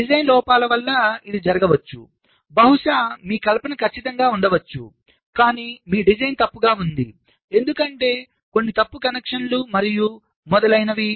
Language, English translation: Telugu, maybe your fabrication is perfect, but your design was wrong, because of some incorrect connections and so on